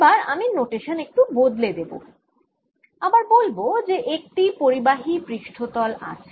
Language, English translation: Bengali, so now i am going to change notation a bit and let me again say there's some conducting surface